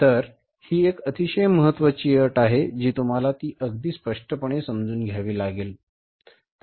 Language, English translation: Marathi, So this is very important condition you have to understand it very clearly